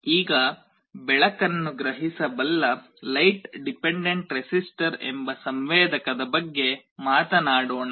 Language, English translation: Kannada, Now, let us talk about a sensor called light dependent resistor that can sense light